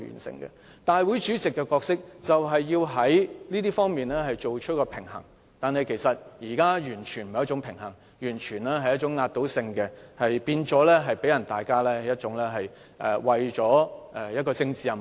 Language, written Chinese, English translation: Cantonese, 立法會主席的角色就是要在這些方面取得平衡，但現在完全沒有平衡，令人覺得他為了完成政治任務而採取強硬手法。, The President is supposed to play the role of striking a balance in these areas but he has failed to perform giving people the impression that he has adopted a heavy - handed approach for the purpose of accomplishing a political mission